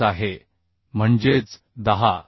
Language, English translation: Marathi, 5 that is 10